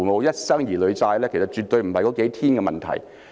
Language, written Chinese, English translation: Cantonese, 一生兒女債，其實絕對不是那數天的問題。, Raising a child is a lifelong commitment . It is definitely not a matter hinging on those several days